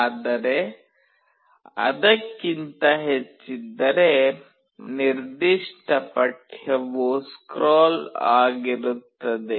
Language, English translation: Kannada, But if it is more than that, the particular text will be scrolling